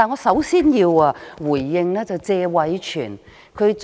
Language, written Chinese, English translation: Cantonese, 首先，我要回應謝偉銓議員。, Firstly I would like to respond to Mr Tony TSE